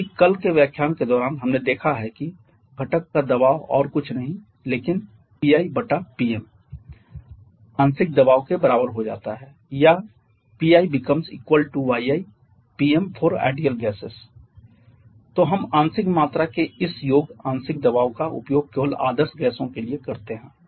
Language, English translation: Hindi, Because during yesterday lecture we have seen that the component pressure which is nothing but your Pm is becomes equal to the partial pressure or Pi becomes equal to yi into Pm for ideal gases